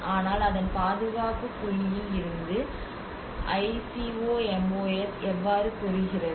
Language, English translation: Tamil, But then from the conservation point of it how the ICOMOS